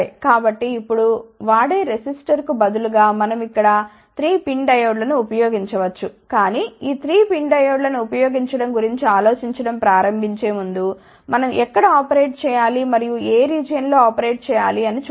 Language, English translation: Telugu, So, now, instead of a using resistor we can use 3 PIN Diodes over here, but before we start thinking about using these 3 PIN diodes, let us see where we have to operate and and which region we have to operate